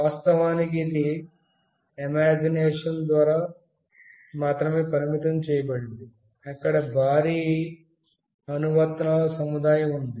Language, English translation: Telugu, And of course, it is limited just by imagination, there is a huge set of applications